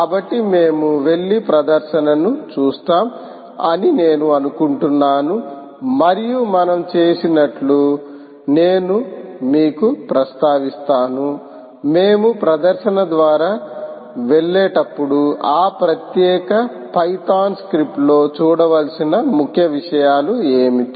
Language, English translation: Telugu, all right, so i think we will just go and see the demonstration and i will it perhaps mention to you as we do, as we go through the demonstration, what are the key things to look out in those particular python script